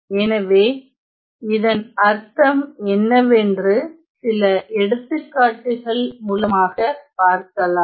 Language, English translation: Tamil, So, let us look at some examples to see what is what do I mean by that